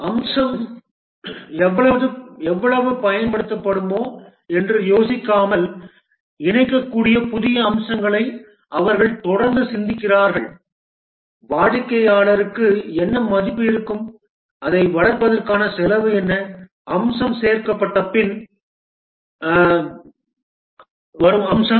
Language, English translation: Tamil, They just keep on thinking new features which can be incorporated without thinking of whether how much the feature will be used, what will be the value to the customer, what will be the cost of developing it, feature after feature get added